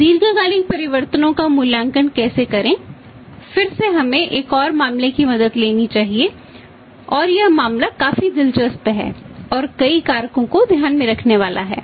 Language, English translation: Hindi, So, how to evaluate the long term changes again let us take the help of a another case and that case is quite interesting and that is going to take into account too many factors